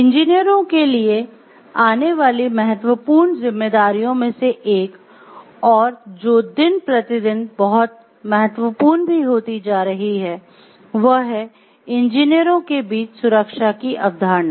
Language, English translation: Hindi, One of the important responsibilities which is coming up for the engineers and which is becoming important, very important day by day is the concept of safety amongst the engineers